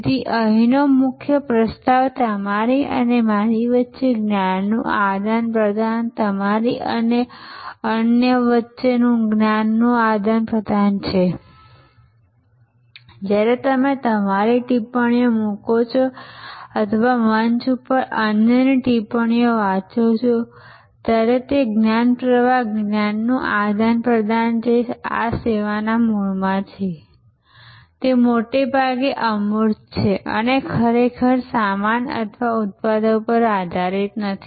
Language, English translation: Gujarati, So, the core proposition here, the exchange of knowledge between you and me, exchange of knowledge between you and the others, who are participating in this course when you put your comments or read others comments on the forum, that knowledge flow, knowledge exchange which is at the core of this service is mostly intangible and is not really dependent on goods or products